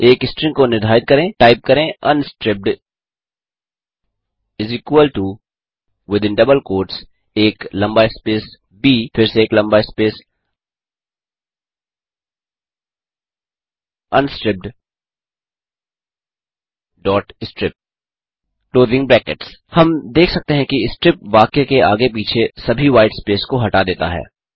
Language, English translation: Hindi, Let us define a string by typing unstripped = within double quotes a long space B again a long space unstripped.strip() We can see that strip removes all the white space around the sentence